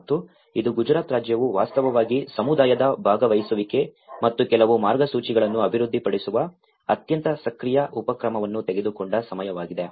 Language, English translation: Kannada, And this is a time Gujarat state has actually taken a very active initiative of the community participation and as well as developing certain guidelines